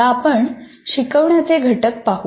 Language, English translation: Marathi, Now let us look at components of teaching